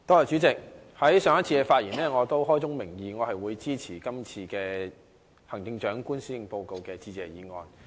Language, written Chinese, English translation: Cantonese, 主席，我上次發言時，已開宗明義地表示我會支持這項有關行政長官施政報告的致謝議案。, President in the last session I stated clearly at the very beginning that I would support this Motion of Thanks regarding the Policy Address of the Chief Executive